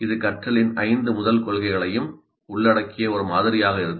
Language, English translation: Tamil, It will be a model which incorporates all the five first principles of learning